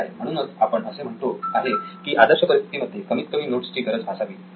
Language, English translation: Marathi, Okay, so that’s why ideal would be to be at low number of notes